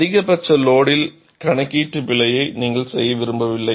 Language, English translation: Tamil, You do not want to make a calculation error on the maximum load